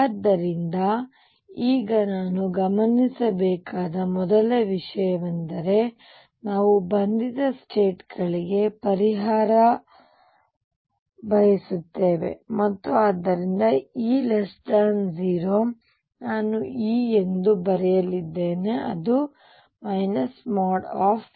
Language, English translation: Kannada, So, now first thing we notice is we want to solve for bound states, and therefore E is less than 0 I am going to write E as minus modulus of E